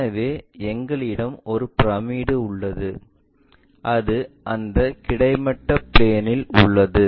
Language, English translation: Tamil, So, we have a pyramid which is laying on that horizontal plane